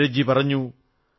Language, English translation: Malayalam, Neeraj ji has said